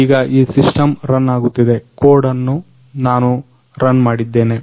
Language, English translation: Kannada, So now this system is running I have run the code